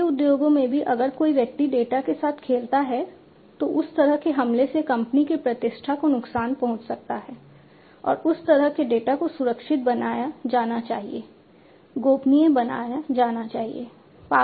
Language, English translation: Hindi, In food industries also you know if somebody plays around with the data that kind of attack can harm the reputation of the company and that kind of data should be made secured, should be made confidential